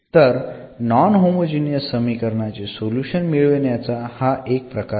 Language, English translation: Marathi, So, this is one way of getting the solution of this such a non homogeneous